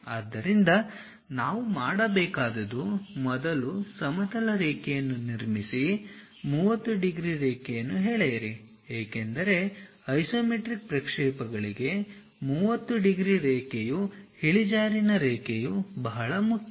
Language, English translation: Kannada, So, to do that what we have to do is first construct a horizontal line and draw a 30 degrees line because for isometric projections 30 degrees line is inclination line is very important